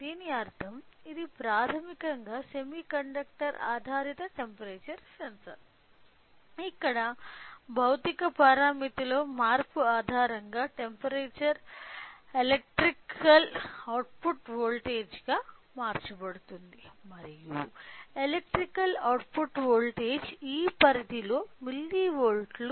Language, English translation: Telugu, It means it is basically a semiconductor based temperature sensor where based upon the change in the physical parameter in this case is the temperature will be converted into then electrical output voltage and that electrical output voltage is milli volts in this range